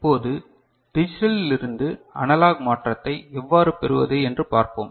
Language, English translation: Tamil, Now, let us see how we can get a digital to analog conversion done